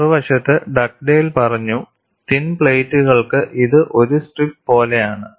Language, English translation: Malayalam, On the other hand, Dugdale came and said, for thin plates it is like a strip